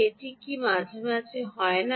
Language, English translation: Bengali, is it not intermittent